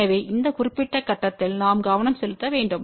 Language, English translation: Tamil, So, we need to focus at this particular point